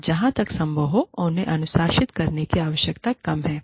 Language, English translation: Hindi, And, the need to discipline them, is reduced, as far as possible